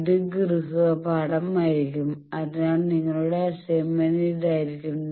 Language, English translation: Malayalam, And this will be the homework, so your assignment will be this